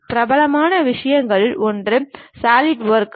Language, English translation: Tamil, One of the popular thing is Solidworks